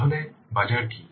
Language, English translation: Bengali, Then what is the market